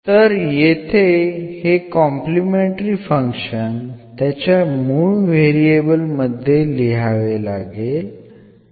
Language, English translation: Marathi, So, here this complementary function we have to write down back to the original variables